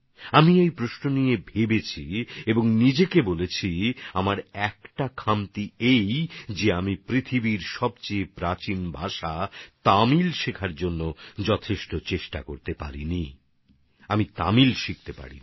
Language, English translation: Bengali, I pondered this over and told myself that one of my shortcomings was that I could not make much effort to learn Tamil, the oldest language in the world ; I could not make myself learn Tamil